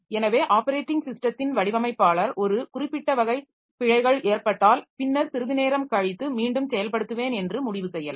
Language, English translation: Tamil, So, the operating system designer may decide that if a certain type of errors occur, then I will just retry the operation after some time